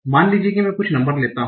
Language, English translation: Hindi, Suppose I take some numbers